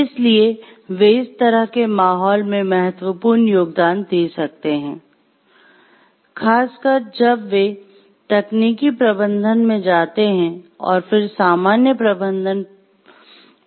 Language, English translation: Hindi, So, they can make a vital contribution to such a climate, especially as they move into technical management and then more into general management positions